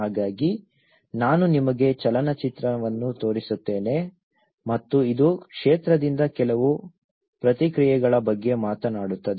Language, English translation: Kannada, So, I will show you a movie and this will actually talk about a few responses from the field